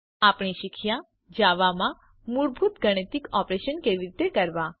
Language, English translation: Gujarati, we have learnt How to perform basic mathematical operations in Java